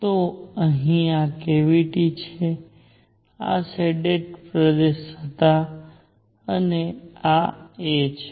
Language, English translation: Gujarati, So here is this cavity, this was the shaded region and this is a